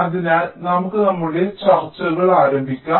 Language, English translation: Malayalam, so we start our discussions